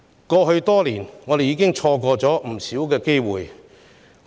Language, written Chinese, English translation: Cantonese, 過去多年，我們已錯過不少機會。, Over the years we have missed so many opportunities